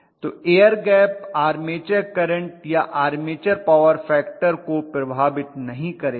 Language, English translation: Hindi, So the air gap will not affect the armature current or armature power factor, right